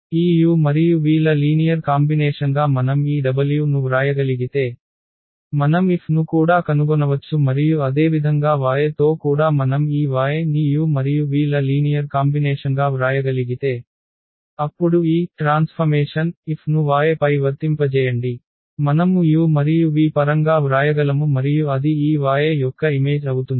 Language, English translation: Telugu, If we can if we can write this w as a linear combination of this u and v then we can also find out the F and similarly with y also if we can write down this y as a linear combination of u and v, then we can apply this transformation F on y and we can write down in terms of u and v and that will be the image of this y